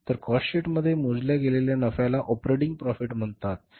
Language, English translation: Marathi, So, in the cost sheet the profit calculated is called as the operating profit, right